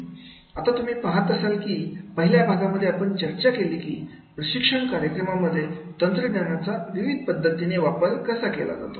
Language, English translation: Marathi, Now you see in the first part we have discussed about that is the what are the different use of technology in the training programs